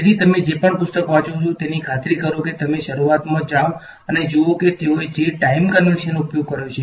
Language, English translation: Gujarati, So, you should whatever book you pick up make sure you go right to the beginning and see what is the time convention they have used